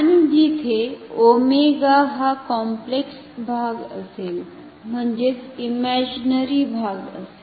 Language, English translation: Marathi, And, where omega will be this complex part, I mean the imaginary part ok